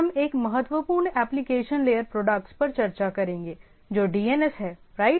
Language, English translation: Hindi, Today we will be discussing one of the important application layer product all namely DNS right